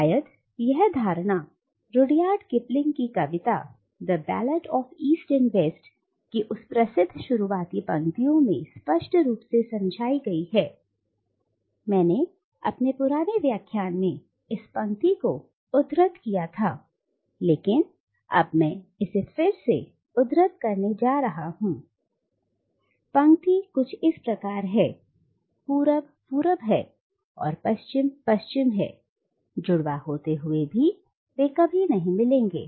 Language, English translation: Hindi, And this perception is perhaps most clearly stated in that famous opening line of Rudyard Kipling’s poem “The Ballad of East and West”, I have already quoted this line in one of my earlier lectures but I am going to quote it again now, the line is of course: “East is East and West is West, and never the twain shall meet”